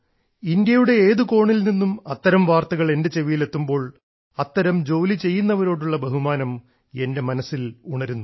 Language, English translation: Malayalam, Whenever such news come to my notice, from any corner of India, it evokes immense respect in my heart for people who embark upon such tasks…and I also feel like sharing that with you